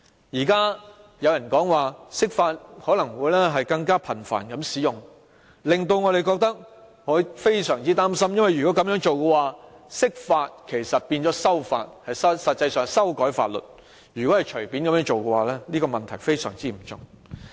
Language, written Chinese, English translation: Cantonese, 現時有人說可能會更頻繁地釋法，這令我們非常擔心，因為如果這樣做，釋法其實變成修法，如果可以隨便這樣做，問題非常嚴重。, There are suggestions that the Basic Law may be interpreted more frequently . We are greatly worried about this practice as the interpretation of the Basic Law will actually become an amendment of the Basic Law and very serious problem may arise if amendments can be made casually . The current Chief Executive Election is another example